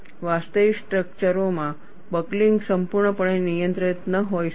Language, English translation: Gujarati, In actual structures, buckling may not be fully restrained